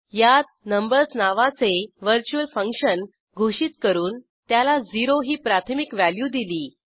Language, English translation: Marathi, In this we have declared a virtual function named numbers